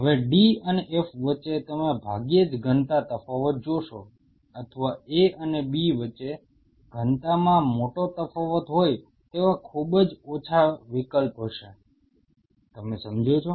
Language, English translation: Gujarati, Now between d and f you hardly will see a density difference or similarly between A and B there will be very little option that there will be a huge density difference, you understand